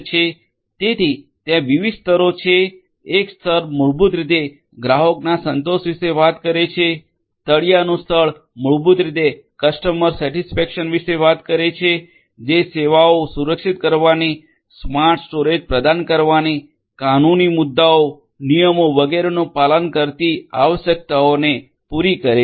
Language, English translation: Gujarati, So, there are different layers one layer basically talks about the customer satisfaction, the bottom layer basically talks about the customer satisfaction which caters to requirements of securing the services, offering smarter storage, complying with legal issues, regulations and so on